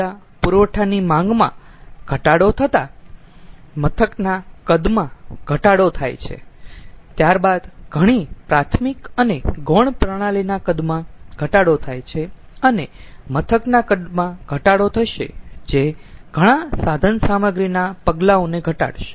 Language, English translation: Gujarati, reduction in plant size: as demand of energy supply reduces, then the size of many primary and secondary system reduces and we will have we will have reduction in the plant size, the footprint of many equipment